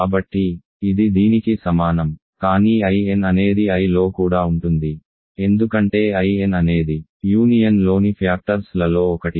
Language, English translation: Telugu, So, this is equal to this, but I n is also contained in I right because I n is one of the factors whose union is I